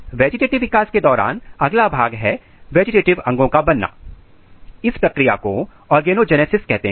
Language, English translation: Hindi, Next during vegetative development is the vegetative organ formation, the process is called organogenesis